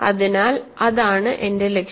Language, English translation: Malayalam, So, that is my goal